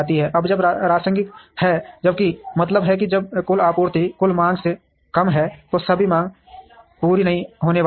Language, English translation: Hindi, Now, when there is rationing, which means when total supply is less than total demand, all the demand is not going to be met